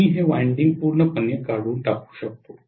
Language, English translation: Marathi, I can eliminate this winding completely